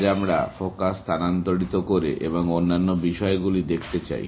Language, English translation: Bengali, Today, we want to shift focus and look at the other aspects